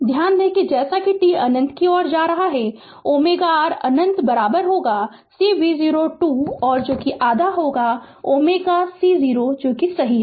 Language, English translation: Hindi, Note that as t tends to infinity omega r infinity is equal to half C V 0 square that is omega C 0 right